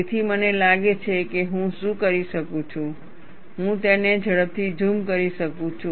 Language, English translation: Gujarati, So, I think, what I can do is, I can quickly zoom it